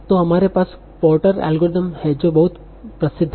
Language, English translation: Hindi, So, we have the Portus algorithm that is very, very famous